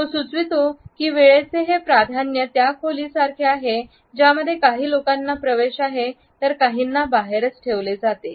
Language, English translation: Marathi, He has suggested that this time preference is like a room in which some people are allowed to enter while others are kept out of it